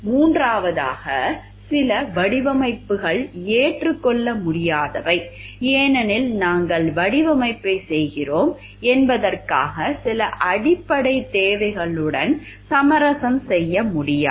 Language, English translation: Tamil, Third there are some designs some which are clearly unacceptable because, it like we cannot compromise with some basic requirements for the user that we are doing the design